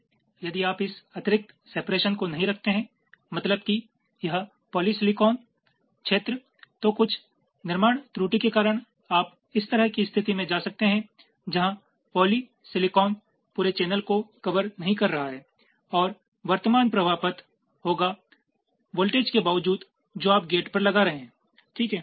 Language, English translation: Hindi, so if you do not keep this extra separation means extra this polysilicon region here, then because of some fabrication error you may land up in a situation like this where the polysilicon is not covering the whole channel and there will be a current flowing path, irrespective of the voltage you are applying to the gate right